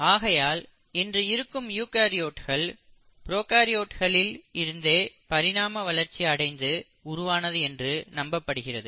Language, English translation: Tamil, Thus we believe that today’s eukaryotes have actually evolved from the prokaryotes